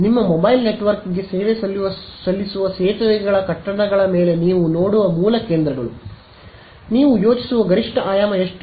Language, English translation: Kannada, The base stations that you see on top of bridges buildings that serves your mobile network, what is the maximum dimension that you think, how much